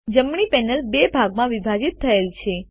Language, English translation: Gujarati, The right panel is divided into two halves